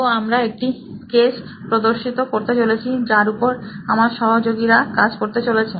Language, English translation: Bengali, So we are going to demonstrate that with a case that my buddies here are going to work on